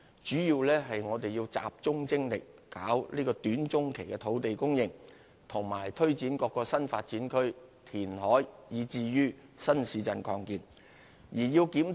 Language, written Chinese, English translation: Cantonese, 主要原因是我們要集中精力處理短、中期的土地供應、推展各個新發展區、填海工程，以及新市鎮的擴建。, The main reason is that we need to focus our efforts on dealing with the land supply in the short to medium term and taking forward projects relating to the development of new development areas reclamation and extension of new towns